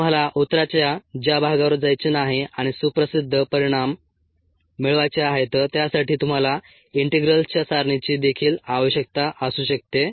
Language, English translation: Marathi, ah, for the part of the solution you dont want go and derive the well known results, ok, so you need to use some well known results also from the table of integrals